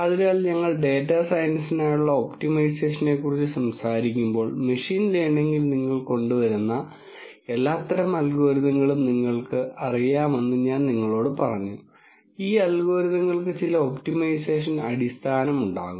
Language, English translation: Malayalam, So, when we were talking about optimization for data science, I told you that you know all kinds of algorithms that you come up with in machine learning there will be some optimization basis for these algorithms